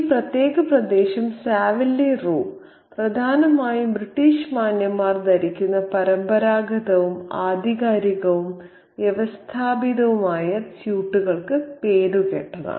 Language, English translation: Malayalam, this particular region Saville Roe is known principally for its traditional, you know, authentic and conventional and conventional suits worn by British gentlemen